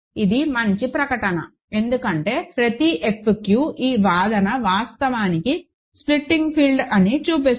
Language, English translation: Telugu, That is a nice statement right, because every F q this argument shows that is actually a splitting field